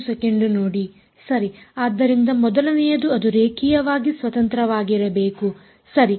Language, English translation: Kannada, Right; so first is that they should be linearly independent right